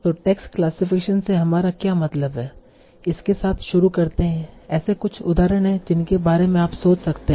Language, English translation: Hindi, So starting with what do you mean by text classification and what are some of the examples you can think of